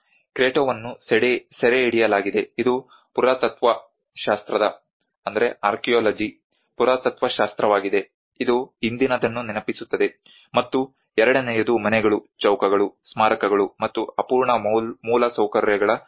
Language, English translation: Kannada, The Cretto is captured which is archaeology of archaeology as a reminder of the past; and the second is a cemetery of houses, squares, monuments, and unfinished infrastructure